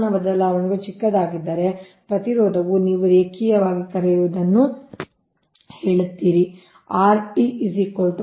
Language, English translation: Kannada, if temperature changes is small, the resistance will also if the this thing, increase your what you call linearly